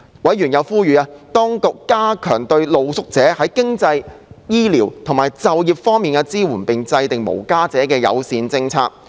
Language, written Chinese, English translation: Cantonese, 委員又呼籲當局加強對露宿者在經濟、醫療及就業方面的支援，並制訂無家者友善措施。, Members also urged the Administration to strengthen the support including financial medical and employment support for street sleepers and formulate homeless - friendly policies